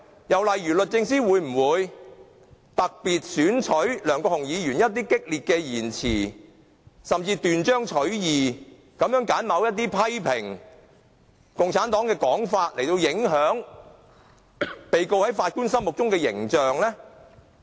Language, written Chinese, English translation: Cantonese, 又例如，律政司會否特別選取梁國雄議員某一些激烈的言詞，甚至斷章取義地揀選他某些批評共產黨的說法，以影響被告在法官心目中的形象呢？, Alternatively will DoJ quote selectively some furious remarks made by Mr LEUNG Kwok - hung or some of his criticisms over the Communist Party out of context so as to influence the judges impression of the accused?